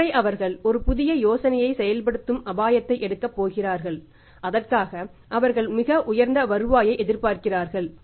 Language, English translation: Tamil, Once they are going to take the risk of implementing a new idea they are expecting a very high return for that